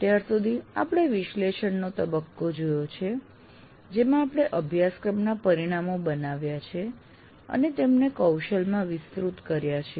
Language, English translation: Gujarati, And in that we have till now seen the analysis phase in which we created the course outcomes and also elaborated them into competencies